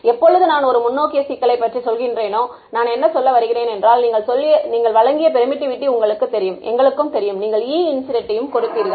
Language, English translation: Tamil, When I say a forward problem what do I mean that, you know your given the permittivity let us say your also given the E incident